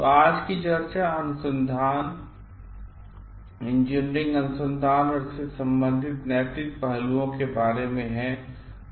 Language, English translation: Hindi, So, today's discussion is about research and engineering research and ethical aspects related to it